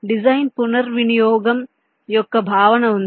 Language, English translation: Telugu, there is a concept of design reuse